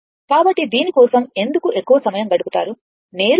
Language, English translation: Telugu, So, why I will spend more time on this directly I will do it